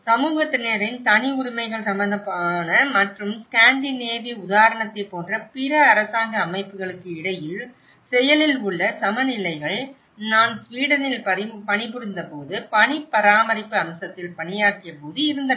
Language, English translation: Tamil, Active counterbalances, between the civil society and other governmental bodies like in Scandinavian example, I have been working on the snow maintenance aspect when I was working in Sweden